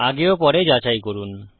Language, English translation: Bengali, Check before, check after